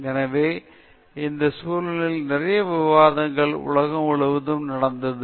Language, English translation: Tamil, So, in this context, lot of discussions happened all over the world